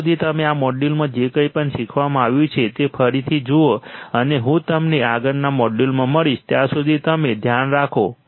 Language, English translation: Gujarati, Till then you again see whatever is taught in this module right and I will catch you in the next module till then you take care